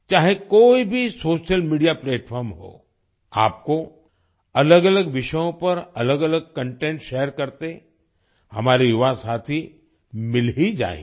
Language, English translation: Hindi, No matter what social media platform it is, you will definitely find our young friends sharing varied content on different topics